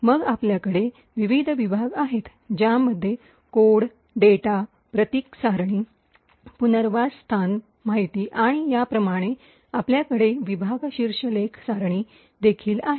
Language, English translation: Marathi, Then you have various sections which contain the code, the data, the symbol table, relocation information and so on and you also have a section header table